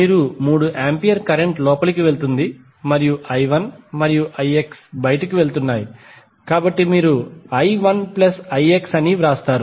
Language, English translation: Telugu, That you can simply write it the 3 ampere current is going in and i 1 and i X are going out, so you will write as i 1 plus i X